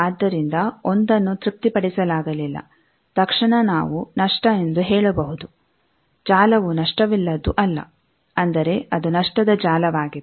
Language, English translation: Kannada, So, 1 not satisfied immediately we can say loss the network is not lossless; that means it is a lossy network